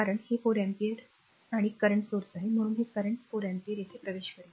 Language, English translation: Marathi, This ah ah this is 4 ampere and current source so, this current 4 ampere is entering here , right